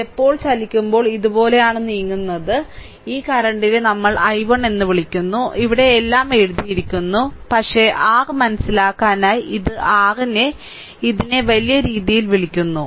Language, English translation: Malayalam, So, this when you are move moving like these you are moving like these, right; so, this current is your what you call I 1, here it is written everything, but for your understanding we will making this your what you call this showing in bigger way, right